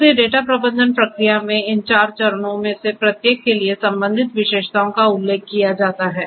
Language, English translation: Hindi, So, for each of these 4 steps in the data management process the corresponding attributes the corresponding characteristics are mentioned